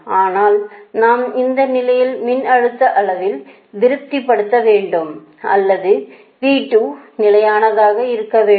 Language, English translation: Tamil, but we know this condition: we actually has to be satisfied: voltage magnitude or v two remain constant